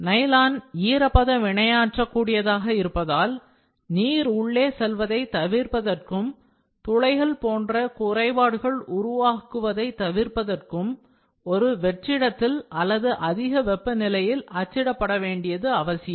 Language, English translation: Tamil, So, since nylon is moistures sensitive it is often necessary to print in a vacuum or at high temperatures to avoid any of the water to get in to the material and produce defects such as pores again